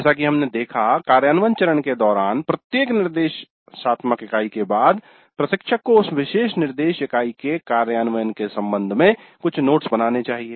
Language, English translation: Hindi, As we noted during implementation phase, after every instructional unit the instructor must make some notes regarding that particular instruction units implementation